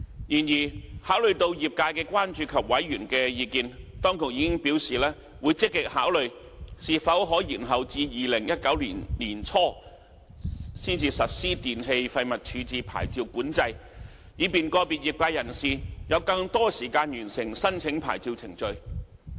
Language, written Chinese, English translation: Cantonese, 然而，考慮到業界的關注及委員的意見，當局已表示會積極考慮是否可延後至2019年年初才實施電器廢物處置牌照管制，以便個別業界人士有更多時間完成申請牌照程序。, Nevertheless having regard to the trades concern and members views the Administration has indicated that it will actively consider deferring the implementation of the licensing control to early 2019 to allow more time for relevant operators to complete the necessary procedures